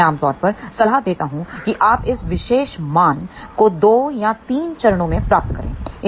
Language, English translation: Hindi, I generally recommend that you design this particular value of gain in 2 or 3 stages